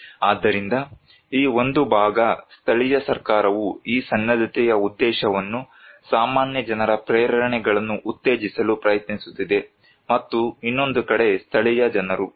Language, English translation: Kannada, So, one this side is local government who is trying to promote these preparedness intention, motivations of the common people and other side is the local people